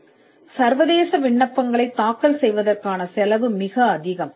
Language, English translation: Tamil, Usually, the cost of filing international applications is very high